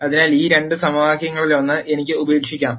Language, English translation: Malayalam, So, I can drop one of these two equations